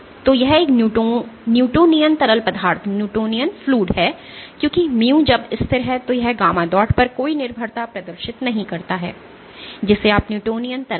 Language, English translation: Hindi, So, this is a newtonian fluid because mu when mu is constant it does not exhibit any dependence on gamma dot you call an newtonian fluid